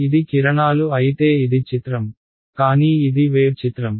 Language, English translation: Telugu, If it were rays then this is the picture, but this is the wave picture